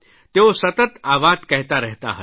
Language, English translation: Gujarati, He used to continuously repeat that